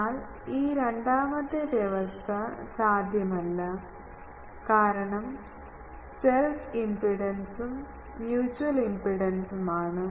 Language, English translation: Malayalam, But this second condition is not possible, because the self impedance and the mutual impedance